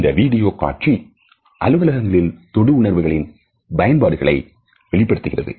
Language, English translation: Tamil, This video interestingly reflects the use of touch in the offices space